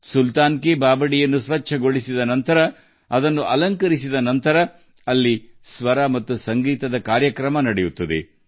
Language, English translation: Kannada, After cleaning the Sultan's stepwell, after decorating it, takes place a program of harmony and music